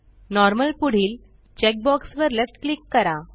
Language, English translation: Marathi, Left click the check box next to Normal